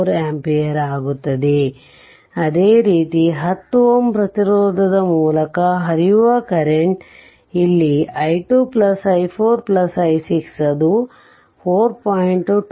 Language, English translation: Kannada, 74 ampere, similarly current flowing through 10 ohm resistance here it is i 2 plus i 4 plus i 6 it is coming 4